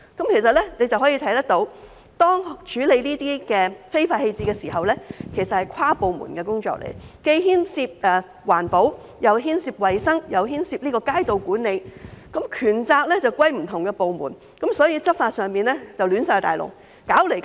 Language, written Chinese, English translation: Cantonese, 由此可見，處理這些非法棄置的情況是跨部門的工作，既牽涉環保、衞生，又牽涉街道管理，權責則歸屬不同部門，所以執法出現大混亂，弄來弄去也處理不好。, It is evident that the handling of illegal disposal requires inter - departmental effort . Since it involves environmental protection hygiene and street management issues where the relevant powers and responsibilities are vested in different departments there is great confusion in law enforcement and the problems cannot be properly addressed